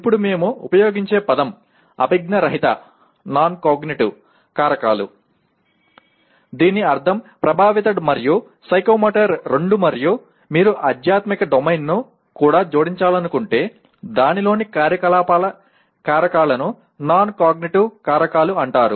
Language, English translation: Telugu, Now the word we use is non cognitive factors that means both affective and psychomotor and if you wish to add even spiritual domain; activities factors in that are called non cognitive factors